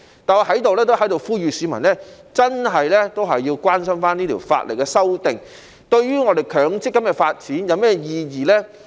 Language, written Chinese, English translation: Cantonese, 但是，我在這裏也呼籲市民，真的要關心這項法例修訂，對於強制性公積金的發展有甚麼意義呢？, However here I would like to call on the public to pay attention to the significance of this legislative amendment for the development of the Mandatory Provident Fund MPF